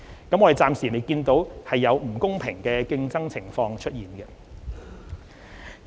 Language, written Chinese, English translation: Cantonese, 我們暫未見到有不公平競爭的情況出現。, We have not seen any unfair competition so far